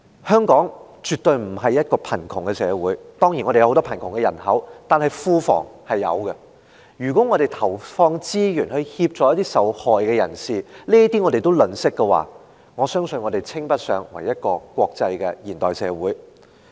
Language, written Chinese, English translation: Cantonese, 香港絕對不是貧窮社會——當然我們有很多貧窮人口，但庫房是有錢的——如果我們連投放資源協助受害人也吝嗇，我相信我們稱不上國際化的現代社會。, Hong Kong is definitely not a poor society―Of course we do have a large poor population but the public coffers are abundant . If we were too stingy to put in resources to help the victims I believe we could hardly claim to be an international modern city